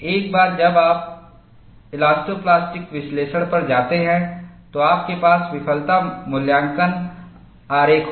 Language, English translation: Hindi, Once you go to elastoplastic analysis, you will have failure assessment diagram